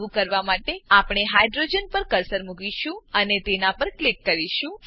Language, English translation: Gujarati, To do so, we will place the cursor on the hydrogen and click on it